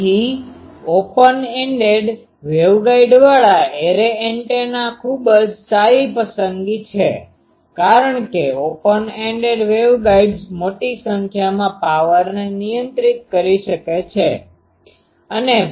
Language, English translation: Gujarati, So array antennas with open ended waveguide is the very good choice because the open ended waveguides can handle sizeable amount of power